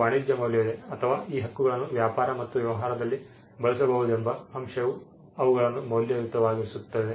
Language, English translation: Kannada, There is commercial value or the fact that these rights can be used in trade and in business makes them some makes them valuable